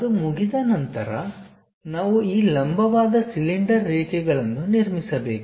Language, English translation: Kannada, Once it is done, tangent to that we have to construct this vertical cylinder lines